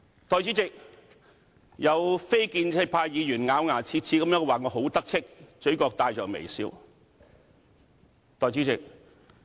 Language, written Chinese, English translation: Cantonese, 代理主席，有非建制派議員咬牙切齒地說我很"得戚"，嘴角帶着微笑。, Deputy President some non - establishment Members said in rage about my smug smile